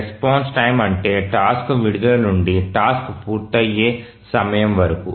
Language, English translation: Telugu, The response time is the time from the release of the task till the task completion time